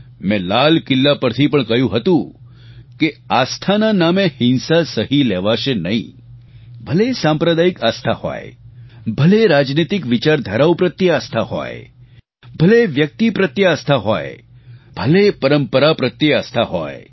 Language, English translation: Gujarati, In my address from the ramparts of the Red Fort, I had said that violence in the name of faith will not be tolerated, whether it is communal belief systems, whether it is subscribing to political ideologies, whether it is allegiance to a person or customs and traditions